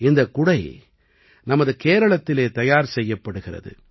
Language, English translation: Tamil, These umbrellas are made in our Kerala